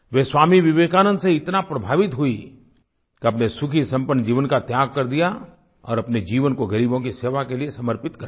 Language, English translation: Hindi, She was so impressed by Swami Vivekanand that she renounced her happy prosperous life and dedicated herself to the service of the poor